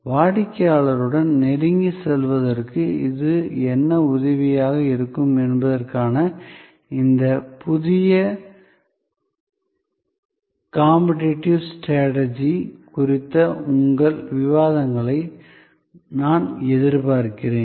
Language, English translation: Tamil, So, I would look forward to your discussions on these new forms of competitive strategy to what extend it helps us to get closer to the customer